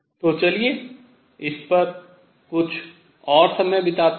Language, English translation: Hindi, So, let us just spend some more time on this